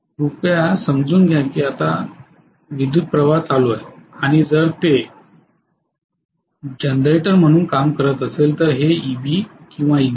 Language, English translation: Marathi, Please understand that now the current is flowing this way and this is EB or EG if it is working as a generator